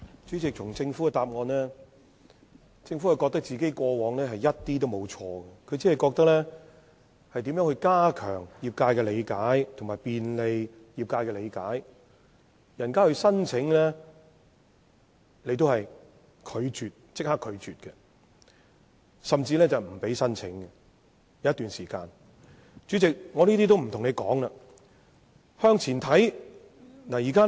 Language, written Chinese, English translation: Cantonese, 主席，從政府的主體答覆可見，它認為自己過往完全沒有做錯，只提出要加強和便利業界對此事的理解，但其實它過往是立即拒絕業界提出申請的，甚至有一段時間不容許業界提出申請。, President the main reply shows that the Government does not think there is anything wrong with its existing practices . It only talks about the need to make it easier for the industry to enhance its understanding of the matter . But the truth is that in the past the Government actually rejected applications from the industry upfront and even stopped accepting applications from the industry for some time